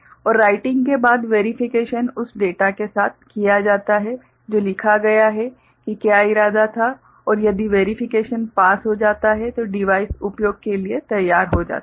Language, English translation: Hindi, And after writing a verification is done with that the data written is what was intended and if verification passes then the device becomes ready for the use ok